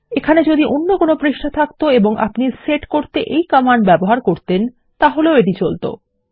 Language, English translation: Bengali, If this is any other page over here and you use this code to set, it will work